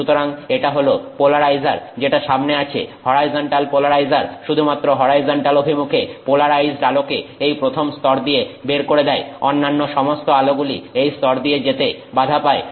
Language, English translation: Bengali, So, this polarizer that is in front, the horizontal polarizer makes the light, only the, you know, the light that is polarized in the horizontal direction goes through this first layer